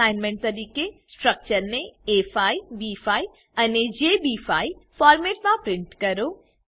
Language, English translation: Gujarati, As an assignment Print the structures in A5, B5 and JB5 formats